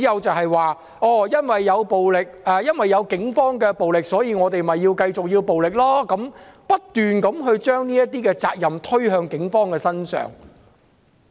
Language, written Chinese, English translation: Cantonese, 他們表示，因為警方使用暴力，所以示威者繼續反抗，不斷將責任推向警方。, They said that since the Police used violence the protesters resisted . They are constantly shirking responsibilities onto the Police